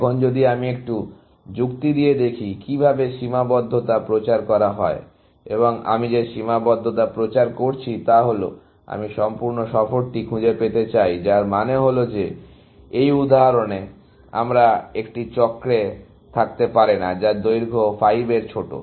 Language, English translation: Bengali, Now, if I do a little bit of reasoning, how constraint propagation, and what is the constraint I am propagating is, that I want to find the complete tour, which means that I cannot have a cycle, which is smaller than length 5, in this example